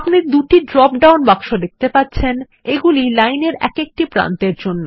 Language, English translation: Bengali, You see two drop down boxes one for each end of the line